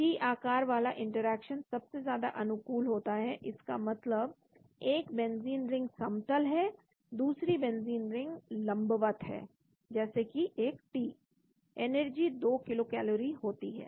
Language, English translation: Hindi, T shaped interaction is a most favourable, that means one benzene ring is flat, another benzene ring is perpendicular like T, energy is 2 kilocalories